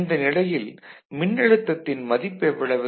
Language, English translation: Tamil, So, at this point what is the voltage here